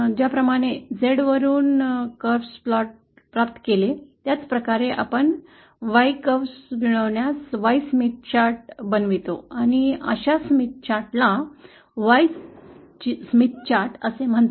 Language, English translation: Marathi, In the same way that we obtained the curve from Z value, we should also be able to get the curve, Smith chart form the Y values and such a Smith chart is called as Y Smith chart